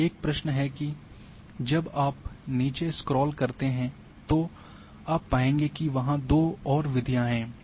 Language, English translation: Hindi, Now a question, when when you go and scroll down you would find that a two more methods are there